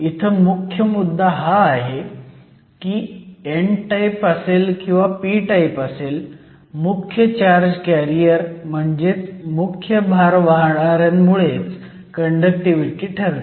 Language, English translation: Marathi, So, the main point here is that when you have whether an n type or a p type, the conductivity is essentially determined by the majority charge carriers